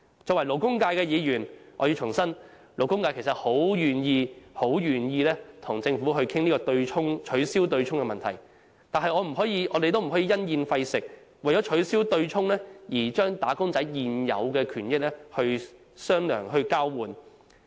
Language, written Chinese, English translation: Cantonese, 作為代表勞工界的議員，我要重申，勞工界十分願意與政府商討取消對沖的安排，但我們不可因噎廢食，不可為了要取消對沖而將"打工仔"的現有權益作交換。, As a Member representing the labour sector I have to reiterate that the labour sector is more than willing to discuss with the Government arrangements for abolishing the offsetting mechanism yet we cannot throw away the apple because of the core . By the same token we cannot compromise the existing rights and benefits of wage earners for the purpose of abolishing the offsetting mechanism